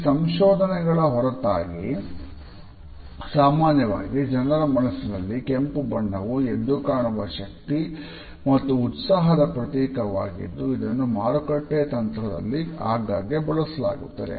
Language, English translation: Kannada, Despite these findings we find that the normal associations in people’s mind of red are with energy and passion which remain vivid and are often used as marketing strategy